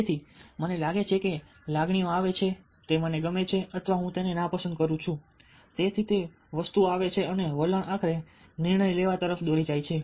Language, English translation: Gujarati, ah, i feel that i like it or i dislike it, so those things come in and attitudes finally lead to decision making